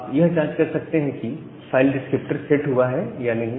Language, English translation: Hindi, Now, how do you pass the file descriptor to select